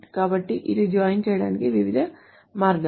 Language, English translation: Telugu, So these are the different ways one can join